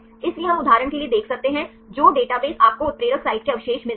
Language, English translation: Hindi, So, we can see for example, which is the database you get the catalytic site residues